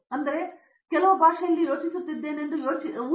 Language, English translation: Kannada, So, even if I start thinking I think in some language